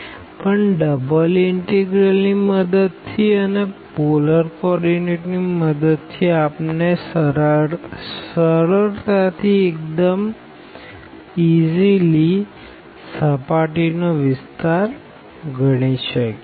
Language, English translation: Gujarati, So, but with the help of this double integral and with the help of the polar coordinates we could very easily compute this surface area